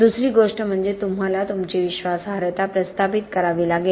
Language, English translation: Marathi, Second thing is that you have to establish your credibility